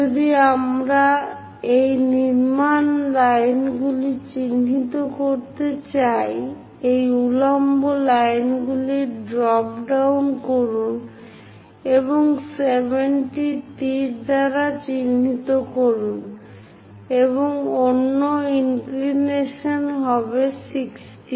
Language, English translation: Bengali, If we want to mark these construction lines, drop down these vertical lines and mark by arrows 70, and the other inclination is this is 60 degrees